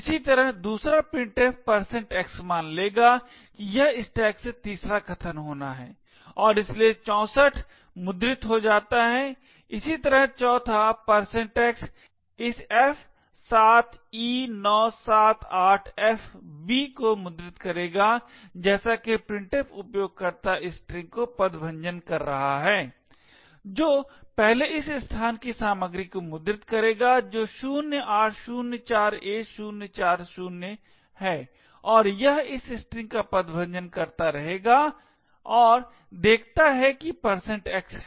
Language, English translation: Hindi, Similarly at the second %x printf will assume that it is it has to be the third argument from the stack and therefore 64 gets printed, similarly the fourth %x would print this f7e978fb as printf is parsing user string it would first print the contents of this location which is 0804a040 and it would continue to parse this string and see the there is a %x